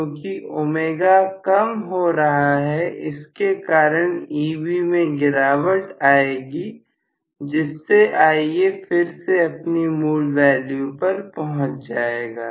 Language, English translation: Hindi, Because omega decreases, I will have essentially Eb decreases; so, Ia will be restored to its original value, right